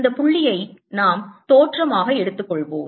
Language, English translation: Tamil, let us take this point to be origin, all rights